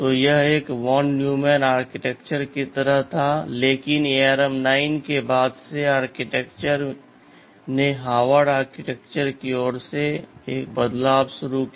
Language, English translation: Hindi, So, it was like a von Neumann architecture, but from ARM 9 onwards the architecture became it started a shift towards Harvard architecture right